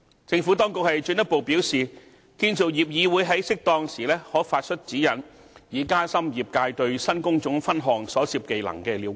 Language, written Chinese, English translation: Cantonese, 政府當局進一步表示，建造業議會在適當時候可發出指引，以加深業界對新工種分項所涉技能的了解。, The Administration has further advised that where appropriate the Construction Industry Council CIC may issue guidelines to facilitate the understanding of the skills involved in the new trade divisions by the industry